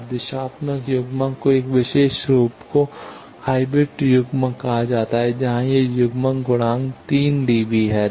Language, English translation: Hindi, Now, a particular form of directional coupler is called hybrid coupler where this coupling factor is 3 dB